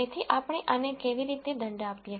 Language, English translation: Gujarati, So, how do we penalize this